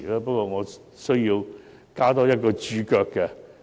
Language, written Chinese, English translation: Cantonese, 不過，我需要加一個註腳。, However I have to add a footnote here